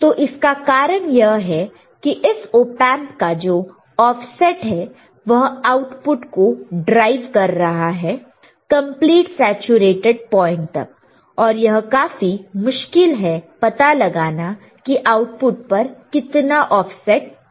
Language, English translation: Hindi, So, the reason is this is because the offset in this Op Amp is driving the output to a completely saturated point it is very difficult to estimate the amount of offset present at the output right